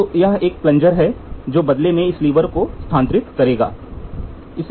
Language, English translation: Hindi, So, here is a plunger which in turn tries to move this lever